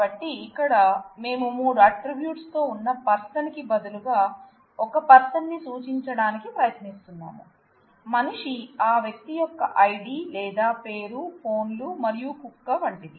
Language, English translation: Telugu, So, here we are trying to represent an individual instead of persons with 3 attributes, man which is an may be id or name of that person, phones and dog like